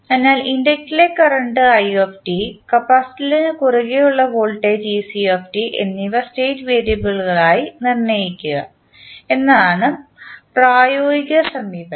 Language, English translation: Malayalam, So, the practical approach for us would be to assign the current in the inductor that is i t and voltage across capacitor that is ec t as the state variables